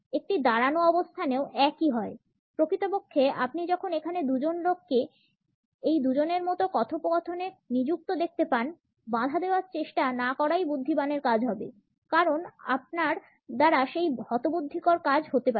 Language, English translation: Bengali, The same holds true in a standing position; in fact, when you see two people engaged in a conversation like these two here; it would be wise not to try to interrupt, you may end up embarrassing yourself